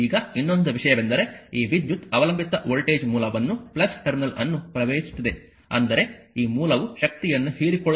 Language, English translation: Kannada, Now, the another thing is this current is entering into the dependent voltage source the plus terminal; that means, this source actually absorbing power